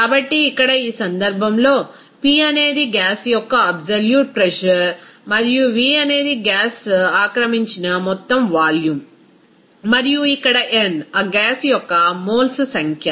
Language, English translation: Telugu, So, here in this case P is the absolute pressure of the gas and V the total volume occupied by the gas and also n here, n is the number of moles of that gas